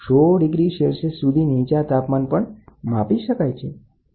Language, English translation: Gujarati, The temperature as low as hundred degrees can be measured